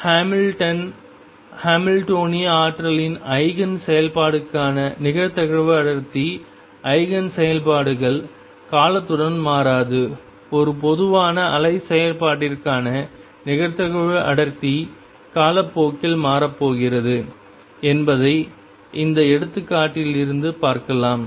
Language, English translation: Tamil, The probability density for Eigen functions of Hamilton Hamiltonian energy Eigen functions do not change with time on the other hand, you can see from this example that the probability density for a general wave function is going to change with time